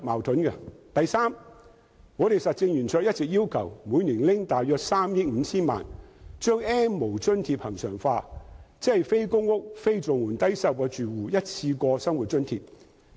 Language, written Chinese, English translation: Cantonese, 第三，實政圓桌一直要求每年撥出約3億 5,000 萬元把 "N 無"津貼恆常化，即非公屋、非綜援、低收入住戶的一次過生活津貼。, Thirdly the Roundtable has all along requested annual allocation of about 350 million to regularize the subsidy for the N have - nots ie . a one - off living subsidy for low - income households not living in public housing and not receiving Comprehensive Social Security Assistance CSSA payments